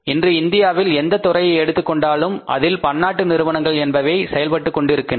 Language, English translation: Tamil, So, do you see in every sector there are the multinational companies operating in India